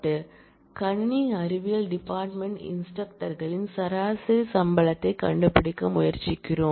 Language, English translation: Tamil, So, we are trying to find the average salary of instructors in computer science department